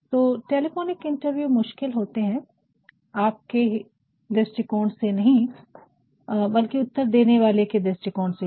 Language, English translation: Hindi, So, telephonic interviews are very difficult and not only from your point of view, but also from the point of view of the respondents also